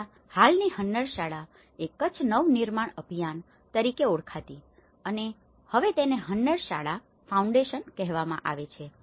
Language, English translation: Gujarati, Earlier, the present Hunnarshala, itís called Kutch Nava Nirman Abhiyan and now it is called Hunnarshala Foundation